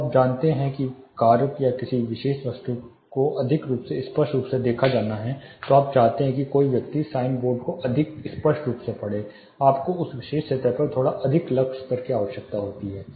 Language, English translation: Hindi, For a you know task or a particular object to be seen more clearly, you want a person to see a sign board more clearly you may need slightly higher lux levels on that particular surface